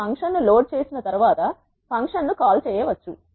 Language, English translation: Telugu, You can call the function once you load the function